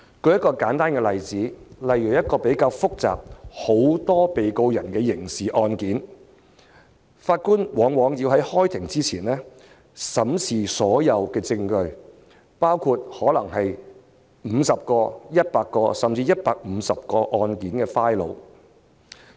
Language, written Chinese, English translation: Cantonese, 舉一個簡單例子，例如審理一宗比較複雜，涉及很多被告人的刑事案件，法官往往要在開庭前審視所有證據，包括可能是50個、100個，甚至是150個的案件檔案。, Let me cite a simple example . In handling a rather complicated criminal case that involves a large number of defendants a judge has to examine all evidence perhaps 50 100 or even 150 case files before the trial begins . During the trial he might have to sit from nine to five for several days up to 100 days